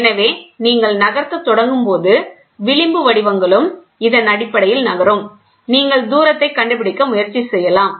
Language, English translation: Tamil, So, as and when you start moving, the fringe patterns also move based on this you can try to find out the distance